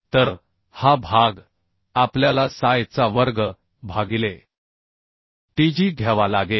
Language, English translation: Marathi, so this portion we have to take ps square i by tg